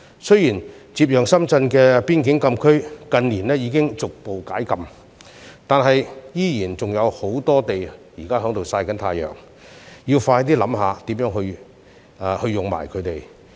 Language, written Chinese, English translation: Cantonese, 雖然接壤深圳的邊境禁區已於近年逐步解禁，但現時區內仍有很多閒置土地，政府應思考如何善用。, Although the restriction of the frontier closed area adjoining Shenzhen has been gradually relaxed in recent years a lot of land sites in the area still remain idle and the Government should consider how to make good use of them